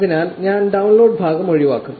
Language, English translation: Malayalam, So, I will skip the downloading part